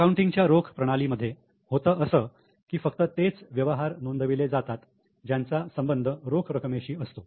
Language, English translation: Marathi, In cash system of accounting what happens is only those transactions which are related to cash are recorded